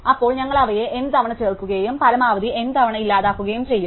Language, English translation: Malayalam, Then we will be inserting them N times and deleting max N times